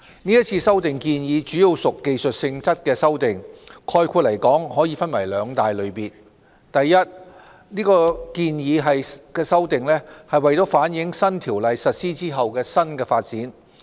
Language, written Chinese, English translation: Cantonese, 是次修例建議主要屬技術性質的修訂，概括來說，可以分為兩大類別：第一類別建議的修訂是為反映新《公司條例》實施後的新發展。, Most of the amendments are technical in nature and can be roughly grouped under two major categories The first category of proposed amendments seeks to incorporate new developments after the commencement of the new Companies Ordinance . This category can be divided into two groups